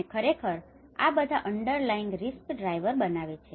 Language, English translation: Gujarati, And these are all actually formulates the underlying risk drivers